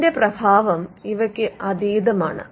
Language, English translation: Malayalam, So, the effect is beyond that